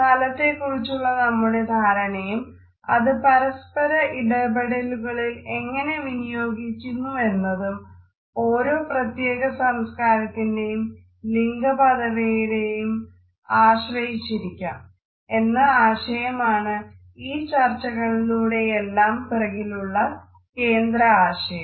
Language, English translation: Malayalam, The idea behind all these discussion is that our understanding of a space how do we negotiate it in our inter personal interaction with other people is guided by our understanding of gender roles in a particular culture